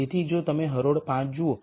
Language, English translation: Gujarati, Let us pick for example, row 5